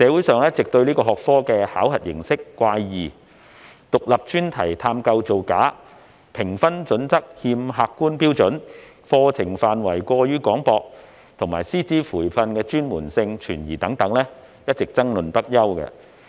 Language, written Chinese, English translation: Cantonese, 對於此學科考核形式怪異、獨立專題探究造假、評分準則欠缺客觀標準、課程範圍過於廣泛，以及師資培訓專門性存疑等，社會上一直爭論不休。, There have been ongoing debates in society arising from the subjects idiosyncratic assessment format fraud in Independent Enquiry Study IES lack of objective criteria in grading and overly extensive curriculum . The specialty of the training provided for teachers was also called into doubt